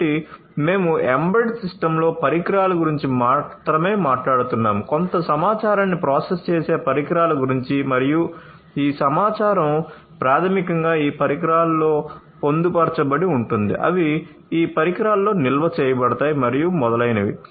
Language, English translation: Telugu, So, we have in embedded systems we are talking about devices alone the devices that will process some information and this information are basically embedded in these devices, they are stored in these devices and so on